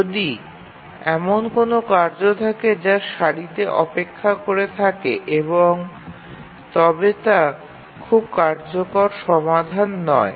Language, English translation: Bengali, If there are n tasks waiting in the queue, not a very efficient solution